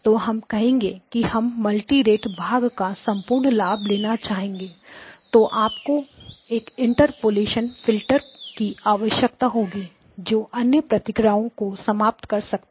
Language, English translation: Hindi, So we said we will take complete advantage of the multirate part but then you needed an interpolation filter that will kill the other the response